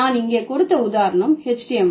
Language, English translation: Tamil, So, the example that I have given here is HTML